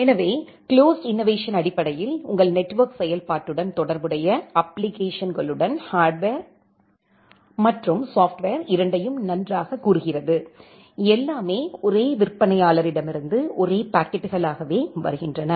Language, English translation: Tamil, So, closed innovation basically says that well both the hardware as well as software along with the applications which are associated with your network functionalities, everything is coming from the same vendor as the same packets